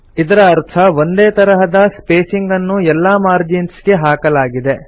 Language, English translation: Kannada, This means that the same spacing is applied to all the margins